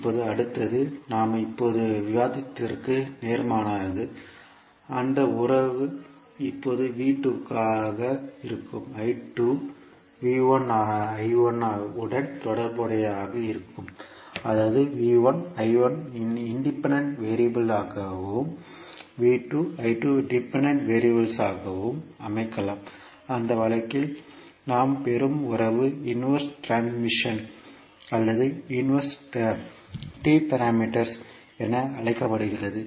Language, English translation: Tamil, Now, next is the opposite of what we discussed till now means the relationship will now be V 2 and I 2 will be related with respect to V 1 and I 1 that means we can also set V 1 I 1 as independent variables and V 2 I 2 as dependent variables, in that case the relationship which we get is called as a inverse transmission or inverse T parameters